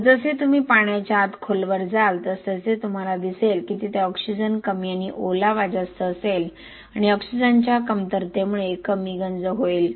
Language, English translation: Marathi, As you go deeper into the water body you will see that there will be less oxygen and more moisture because of the deficiency of oxygen there will be less corrosion